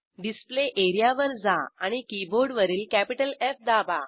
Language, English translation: Marathi, Come to the Display Area and press capital F on the keyboard